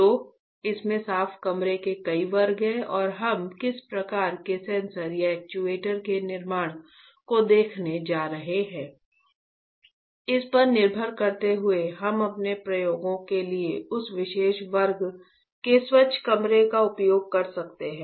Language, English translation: Hindi, So, this has several classes of clean room and depending on what kind of fabrication of sensors or actuators we are going to see, we can use that particular class of clean room for our experiments